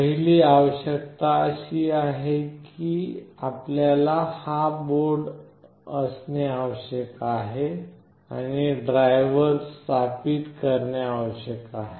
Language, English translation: Marathi, The first requirement is that you need to have this board in place and the driver installed